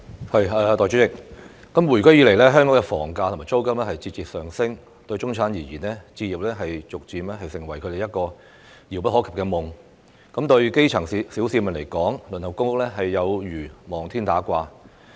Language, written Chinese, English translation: Cantonese, 代理主席，回歸以來，香港的房價和租金節節上升，對中產階級而言，置業逐漸成為一個遙不可及的夢；對基層市民而言，輪候公屋有如望天打卦。, Deputy President since the return of sovereignty housing prices and rents in Hong Kong have been steadily rising . For the middle class home ownership has gradually become an unattainable dream; for the grass - roots people waiting for public housing is like waiting in vain